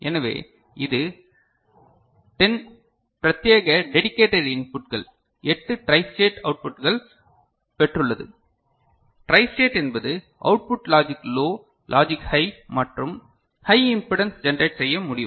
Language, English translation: Tamil, So, it has got 10 dedicated inputs 8 tri stated outputs right, tri stated means the output can generate logic low, logic high and high impedance